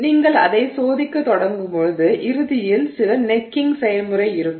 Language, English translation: Tamil, So, as you start testing it you eventually have some necking process